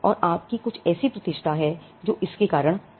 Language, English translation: Hindi, And you have some kind of reputation that is come out of it